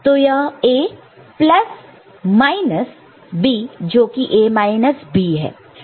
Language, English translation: Hindi, So, it will be A plus minus B that is A minus B